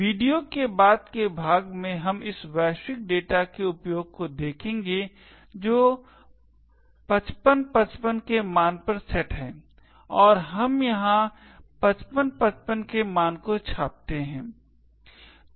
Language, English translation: Hindi, In a later part of the video we will see the use of this global data which is set to a value of 5555 and we print this value of 5555 over here